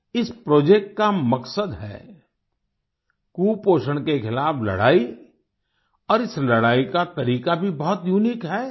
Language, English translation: Hindi, The purpose of this project is to fight against malnutrition and the method too is very unique